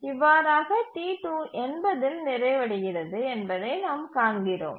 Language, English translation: Tamil, We find that T2 completes by 80